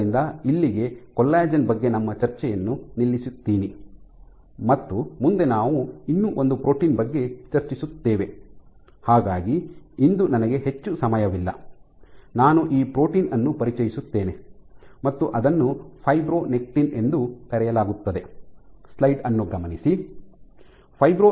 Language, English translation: Kannada, So, that brings us to close on our discussion about collagen, we would discuss about one more protein, so I do not have much time today I will just introduce this protein is fibronectin